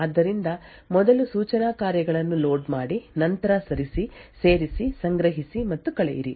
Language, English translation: Kannada, So, firstly load instruction executes, then move, add, store and subtract